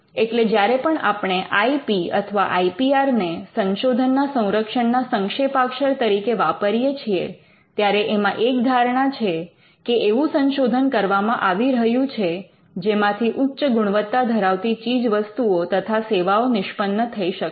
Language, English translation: Gujarati, So, when whenever we use IP or Intellectual Property Rights IPR as a short form for protecting research, we are assuming that there is research that is happening which can result in quality products and processes that emanate from the research